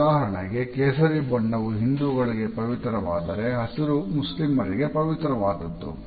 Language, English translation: Kannada, For example, Saffron is considered sacred in Hinduism whereas, green is considered to be sacred in Islam